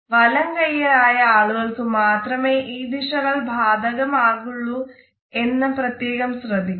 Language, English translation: Malayalam, Please note that this direction is valid only for those people who are right handed